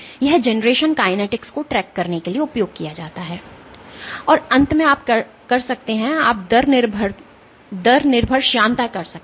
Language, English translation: Hindi, This is used for tracking the generation kinetics and finally, you can have you can do rate dependent viscosity